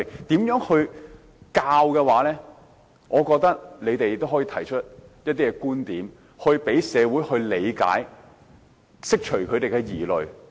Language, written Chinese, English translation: Cantonese, 對於這方面的教育，我覺得他們可以提出一些觀點，讓社會理解，釋除大眾的疑慮。, As regards education in this respect I think they can present some viewpoints to help society understand and allay public misgivings